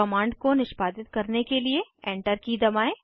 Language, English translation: Hindi, Press Enter key to execute the command